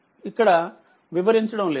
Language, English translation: Telugu, So, here I will not explain much